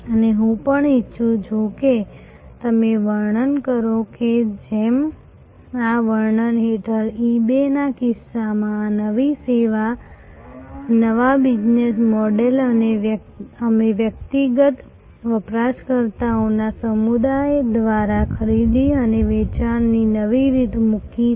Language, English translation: Gujarati, And I would also like you to describe that just like in case of eBay under this description, this new service new business model we have put a new way of buying and selling through a community of individual users